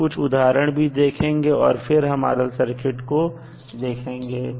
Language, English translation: Hindi, We will see some examples and then we will move onto rl circuit also